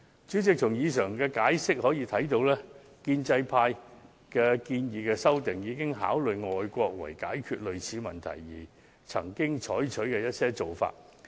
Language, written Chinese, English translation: Cantonese, 主席，根據上述闡釋，大定便明白建制派的修訂建議，已參考外地議會為解決類似問題而曾採取的一些做法。, President referring to the elaboration above Members should understand that in proposing the amendments Members of the pro - establishment camp have already drawn reference from the practices adopted by parliaments of foreign countries in addressing similar issues